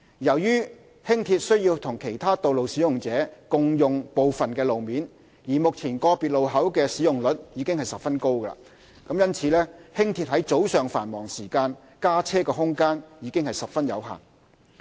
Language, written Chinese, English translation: Cantonese, 由於輕鐵須與其他道路使用者共用部分路面，而目前個別路口的使用率已十分高，因此，輕鐵於早上繁忙時間加車的空間已十分有限。, Given that Light Rail shares part of the roads with other road users and that the usage of individual junctions are currently very high the room for additional LRVs during the morning peak hours is very limited